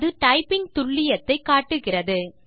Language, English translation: Tamil, Lets check how accurately we have typed